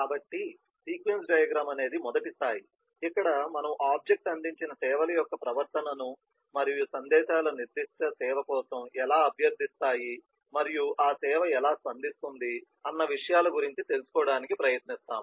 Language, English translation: Telugu, so sequence diagram is a first level by where we try to capture this behaviour of the services provided by the object and how messages request for certain service and how that service is responded